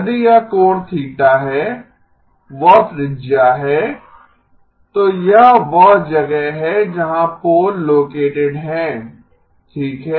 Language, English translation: Hindi, If this is angle theta that is the radius mod a, so this is where the pole is located okay